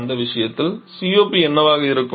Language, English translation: Tamil, In that case it is; what will be the COP